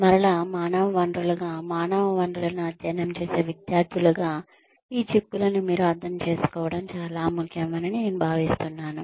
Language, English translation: Telugu, So again, as human resources, as students studying human resources, I think it is very important for you to understand these implications